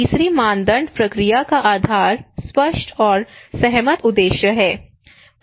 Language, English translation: Hindi, The third criteria process based is the clear and agreed objective at the outset